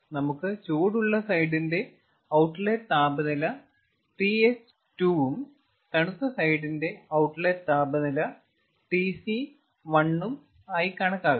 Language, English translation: Malayalam, let us assume the hot side outlet temperature to be t h two, cold side outlet temperature to be t c one